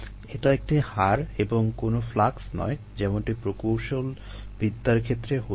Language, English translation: Bengali, it is a rate, a, not flux as in engineering terms